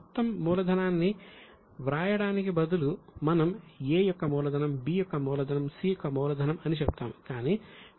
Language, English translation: Telugu, Instead of writing total capital, we will say A's capital, B's capital, C's capital